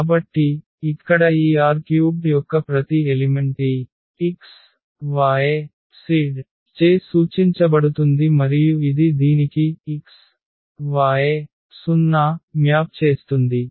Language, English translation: Telugu, So, here every element of this R 3 which is denoted by this x y z and it maps to this x, y and the z becomes 0